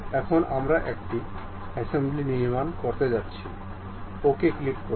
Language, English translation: Bengali, Now, we are going to construct an assembly, click ok